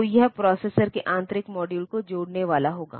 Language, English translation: Hindi, So, that will be connecting the modules internal to the processor